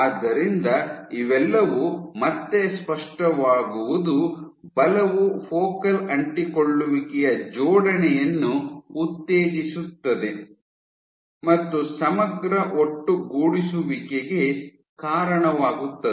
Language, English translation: Kannada, So, all of this is that again what is clear is force promotes focal adhesion assembly and leads to integrin aggregation